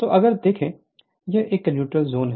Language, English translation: Hindi, So, if you look into this is your, this is your neutral zone